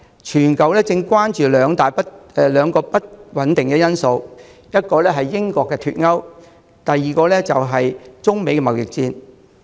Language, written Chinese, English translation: Cantonese, 全球正關注兩個不穩定因素，第一，是英國脫歐，第二，是中美貿易戰。, There are two factors of uncertainty which have drawn global attention first Brexit and second the China - United States trade war